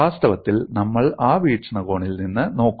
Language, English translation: Malayalam, In fact, we would look at from that perspective